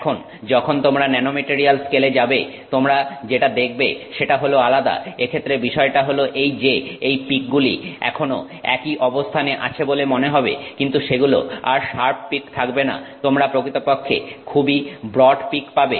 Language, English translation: Bengali, Now when you go to the nanomaterial scale what you see which is different is the fact that these peaks, they still appear at the same position but they are no longer sharp peaks you actually get very broad peaks so you get something like this